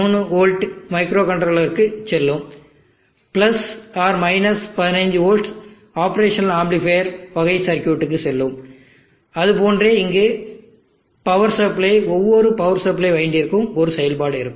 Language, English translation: Tamil, 3v will go to microcontroller, the + 15v will go to the op amps type of circuits and like that then power supply here each power supply winding will have a function